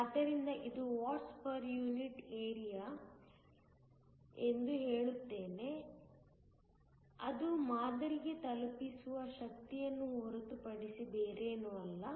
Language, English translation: Kannada, So, this is let me say watt per unit area which is nothing but, the power that is deliver to the sample